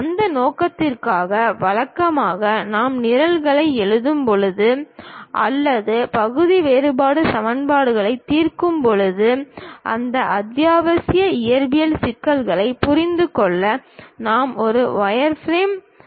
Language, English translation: Tamil, For that purpose, usually when we are writing programs or perhaps solving partial differential equations, to understand those essential physics issues we have to supply the object in a wireframe model